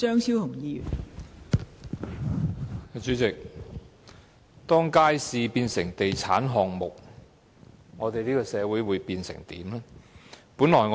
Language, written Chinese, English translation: Cantonese, 代理主席，當街市變成地產項目，我們的社會將變成怎樣呢？, Deputy President when markets become real estate projects what will our society become?